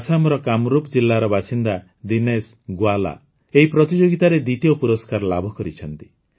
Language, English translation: Odia, Dinesh Gowala, a resident of Kamrup district in Assam, has won the second prize in this competition